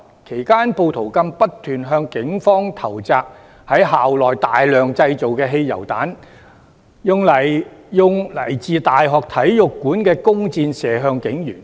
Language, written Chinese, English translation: Cantonese, 其間，暴徒更不斷向警方投擲於校內大量製造的汽油彈，使用來自大學體育館的弓箭射向警員。, In the process rioters threw a multitude of petrol bombs made inside the campus at the Police and shot them with bows and arrows taken from the university sports stadium